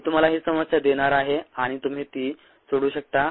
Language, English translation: Marathi, i am going to assign this problem to you and you can solve it